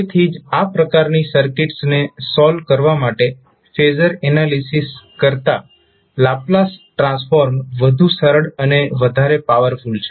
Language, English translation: Gujarati, So that is why the Laplace transform is more easier and more powerful than the phasor analysis in solving these type of circuits